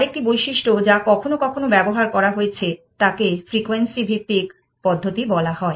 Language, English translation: Bengali, Another feature which has sometimes been used is called the frequency based method